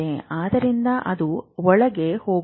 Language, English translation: Kannada, So, it keeps going inside